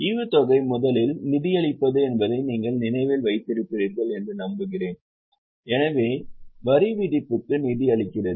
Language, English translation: Tamil, I hope you remember that dividend first of all is financing so tax thereon is also financing